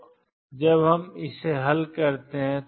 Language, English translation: Hindi, So, when we solve it